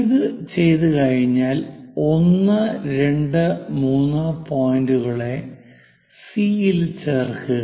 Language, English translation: Malayalam, Once it is done, join C with 1, 2, 3 points